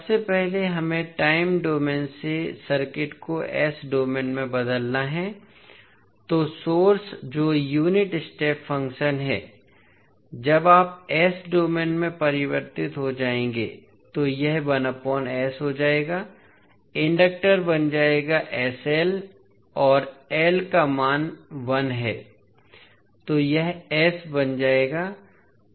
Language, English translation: Hindi, First we have to transform the circuit from time domain into s domain, so the source which is unit step function when you will convert into s domain it will become 1 by S, inductor will become the inductor is sL and value of L is 1so it will become S